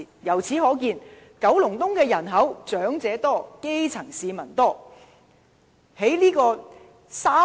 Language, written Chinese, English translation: Cantonese, 由此可見，九龍東的長者多、基層市民多。, It indicates that Kowloon East has the largest number of elderly persons and grass roots